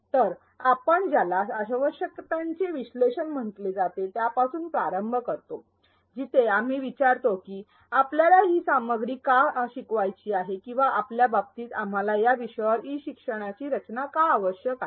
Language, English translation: Marathi, So, we begin with what is called the needs analysis, where we ask why do we need to teach this content or in our case, why do we need to design e learning on this topic